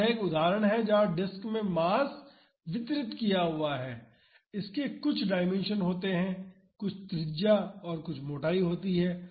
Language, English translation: Hindi, So, this is an example where the masses distributed the disk has some dimensions some radius and some thickness